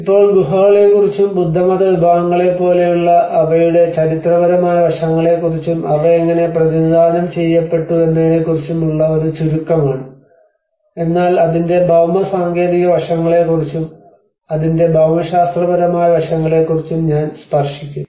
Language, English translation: Malayalam, \ \ Now, this is a brief about the caves and their historic aspect like the Buddhist sects and how they have been represented, but then I will also touch upon the geotechnical aspects of it, the geomorphological aspects of it